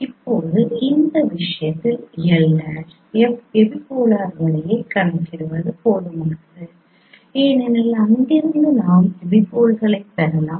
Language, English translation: Tamil, Now in this case it is sufficient to compute the you know epipolar line L prime because from there itself we can get the epipoles